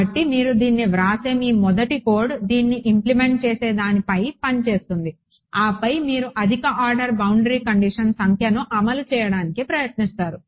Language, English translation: Telugu, So, your first code that you write this implement this get it working on top of that then you would try to implement higher order boundary condition no